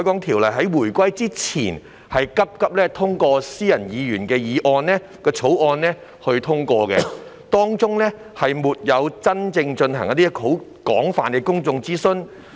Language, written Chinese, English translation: Cantonese, 《條例》是回歸前匆匆以議員私人草案形式通過，事前沒有真正進行過廣泛的公眾諮詢。, The Ordinance was passed hastily by way of a private Members bill prior to the reunification without extensive public consultation beforehand